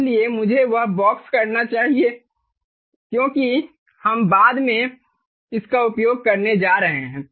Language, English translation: Hindi, so let me box that, because we are going to use it, ah, um later